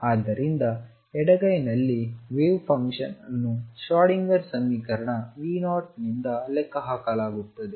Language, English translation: Kannada, So, on the left hand side the wave function is calculated by the Schrodinger equation V 0